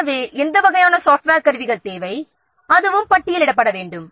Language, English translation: Tamil, So what kind of different software tools are required